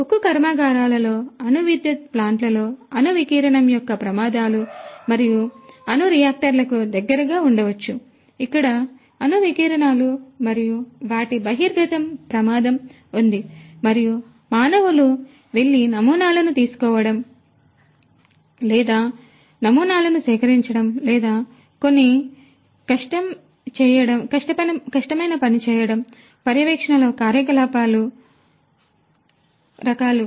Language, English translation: Telugu, In steel plants, in nuclear power plants where there are hazards of nuclear radiation and you know maybe close to the nuclear reactors, where there is hazard of nuclear radiations and their exposure and it is difficult for humans to go and take samples or collect samples or do certain types of monitoring activities